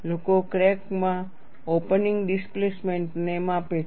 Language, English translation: Gujarati, People measure the crack mouth opening displacement